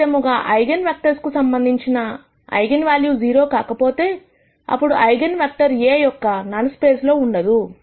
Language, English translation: Telugu, Conversely, if the eigenvalue corresponding to an eigenvector is not 0, then that eigenvector cannot be in the null space of A